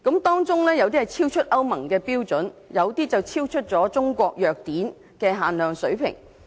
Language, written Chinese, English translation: Cantonese, 當中有部分超出歐盟的標準，有些則超出《中華人民共和國藥典》的水平。, The content level of some of them exceeded the European Union standard while some exceeded the standard specified in the Pharmacopoeia of the Peoples Republic of China